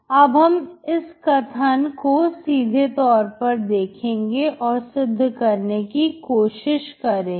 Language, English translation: Hindi, So we will prove this statement in a straightforward way